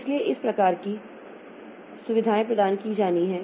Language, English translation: Hindi, So, these are the facilities, this type of facilities are to be provided